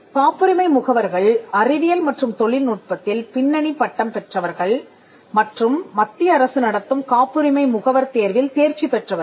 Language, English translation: Tamil, The patent agent are people who have a background degree in science and technology and who have cleared the patent agent examination conducted by the Central Government